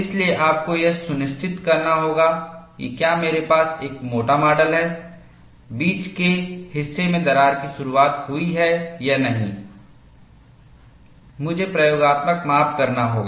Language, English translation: Hindi, So, you have to ensure that, if I have a thick specimen, the in between portion whether it has opened or not, I have to have experimental measurement